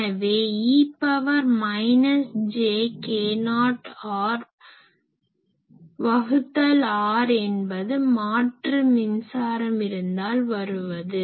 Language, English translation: Tamil, So, e to the power minus j k not r by r, this comes whenever I have any AC current